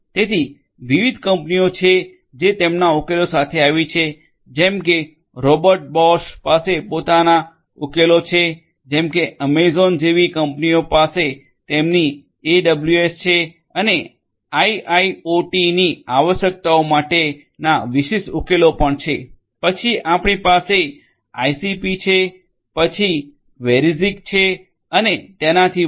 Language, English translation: Gujarati, So, there are different companies which have come up with their solutions companies such as, Robert Bosch they have their solutions, companies that such as Amazon they have their AWS and also the specific solutions creating to IIoT requirements, then we have ICP, then Verismic and so on